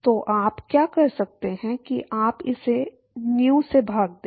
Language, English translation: Hindi, So, what you can do is you divide this by nu